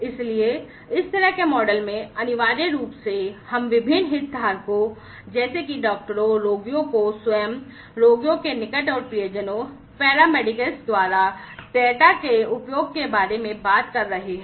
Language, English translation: Hindi, So, essentially in this kind of model, we are talking about utilization of the data by different stakeholders like the doctors, the patients themselves, the you know the near and dear ones of the patients, the paramedics and so on